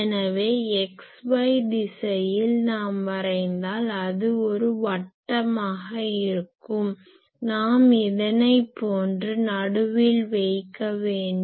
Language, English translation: Tamil, So, in the x y direction if we plot we have seen that that will be a circle; sorry I will have to center it like this circle